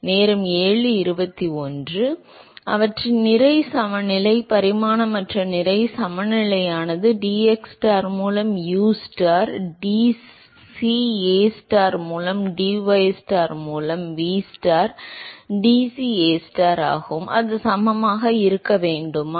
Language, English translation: Tamil, So, their mass balance, non dimensional mass balance would be ustar dCAstar by dxstar plus vstar dCAstar by dystar that should be equal to